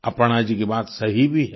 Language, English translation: Hindi, Aparna ji is right too